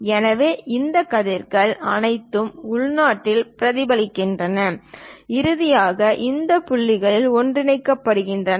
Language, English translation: Tamil, So, all these rays internally reflected, finally converge at this points